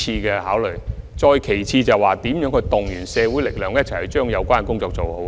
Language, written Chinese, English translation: Cantonese, 此外，我們亦須籌劃應如何動員社會力量一起完成有關工作。, In the meantime we also have to draw up plans on how to mobilize social forces to join in and complete the task